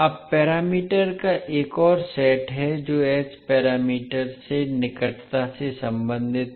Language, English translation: Hindi, Now, there is another set of parameters which are closely related to h parameters